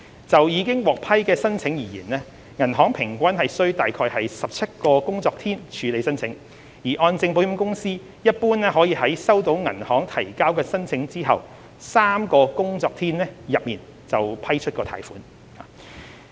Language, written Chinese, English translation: Cantonese, 就已獲批的申請而言，銀行平均需約17個工作天處理申請，而按證保險公司一般可在收到銀行提交申請後3個工作天內批出貸款。, Insofar as the approved applications are concerned the banks took an average of 17 working days to process an application whereas HKMCI normally approved a loan within three working days upon the receipt of an application from the banks